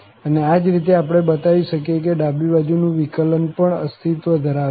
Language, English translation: Gujarati, And similarly, we can show that the left derivative also exists